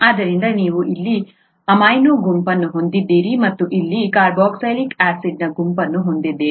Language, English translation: Kannada, So you have an amino group here and a carboxylic acid group here